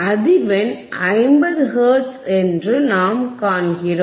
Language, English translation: Tamil, And frequency is frequency is 50 hertz frequency is 50 hertz